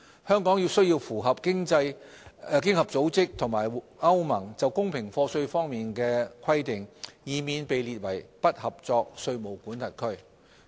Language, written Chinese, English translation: Cantonese, 香港需要符合經合組織和歐盟就公平課稅方面的規定，以免被列為"不合作"稅務管轄區。, It is essential for Hong Kong to meet the requirements of OECD and the European Union on fair taxation so as to avoid being listed as a non - cooperative tax jurisdiction